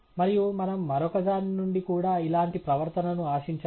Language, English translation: Telugu, And we should expect a similar behavior for the other one as well